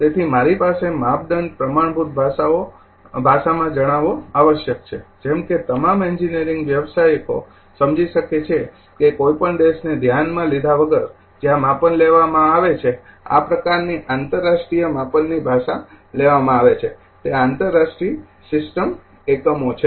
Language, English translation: Gujarati, So; however, I have measurement must be communicated in a standard language, such that all engineering professionals can understand irrespective of the country where the measurement is conducted such an international measurement language is the international system units